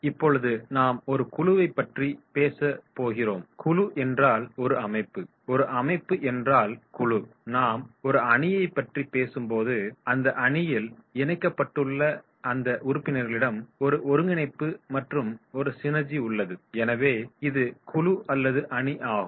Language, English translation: Tamil, And when we talk about the team, so in this team you will find that is these members they are connected there is a coordination and there is a synergy, so this is group and this is team